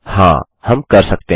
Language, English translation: Hindi, Yes, we can